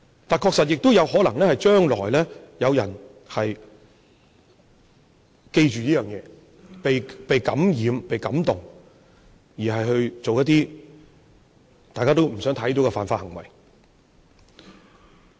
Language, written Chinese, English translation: Cantonese, 但是，確實亦有可能是，將來有人記着這一點，被感染、被感動，而做出一些大家都不想看到的犯法行為。, Furthermore for others who are influenced and moved it is possible that they would do illegal acts in future with this in mind which can be something no one would like to see